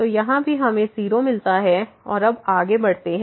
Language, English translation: Hindi, So, here also we get 0 and now moving next